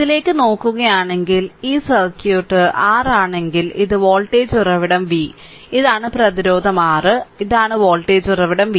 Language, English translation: Malayalam, If you look in to the, if you look into the, this circuit that this is your this is voltage source v, and this is the resistance R right, and this is the voltage source v